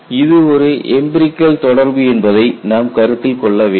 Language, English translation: Tamil, See, you have to take it that this is an empirical relation